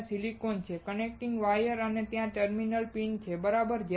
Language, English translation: Gujarati, There is a silicon chip, there are connecting wires and there are terminal pins, right